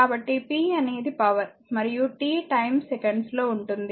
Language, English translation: Telugu, So, you know p is power and t in terms of time second